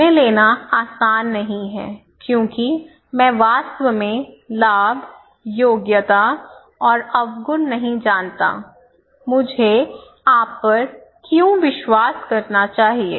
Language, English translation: Hindi, It is not easy to make a decision why; because I would really do not know the advantage, merits and demerits, how should I believe you, how should I trust you right